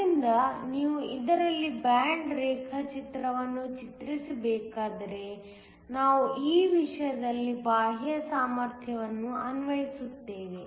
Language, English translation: Kannada, So, if you were to draw the band diagram in this case we are applying an external potential